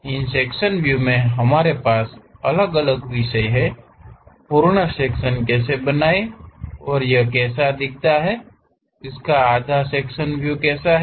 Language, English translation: Hindi, So, in these sectional views, we have different topics namely: how to draw full sections, if it is a half sectional view how it looks like